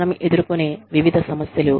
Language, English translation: Telugu, Various issues, that we face